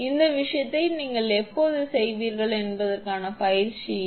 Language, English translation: Tamil, This is an exercise for you when you will do this thing